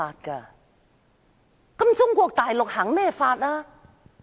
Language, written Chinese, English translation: Cantonese, 那麼，中國實行甚麼法？, Then what is the law practised in the Mainland?